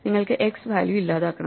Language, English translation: Malayalam, So, this is deleting value x if you want